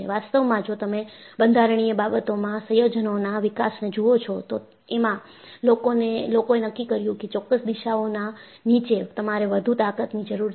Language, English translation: Gujarati, In fact, if you look at the development of composites in structural application, people decided, under certain directions you need more strength